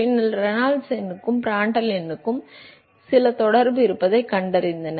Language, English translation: Tamil, And then, what was done was they found that there is some correlation between Reynolds number and Prandtl number